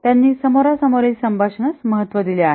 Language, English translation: Marathi, Face to face communication is given importance